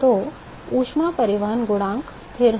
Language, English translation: Hindi, So, the heat transport coefficient is constant